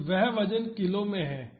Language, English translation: Hindi, So, that is kg by weight